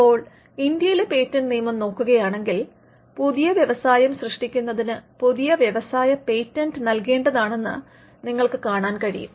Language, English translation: Malayalam, Now, if you look at the patents Act in India as well, you will find that creation of new industry patent should be granted for the creation of new industry, new industries and they should be transfer of technology